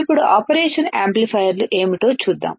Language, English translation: Telugu, Now, let us see what are the operational amplifiers right